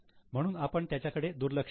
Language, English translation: Marathi, So, we'll ignore it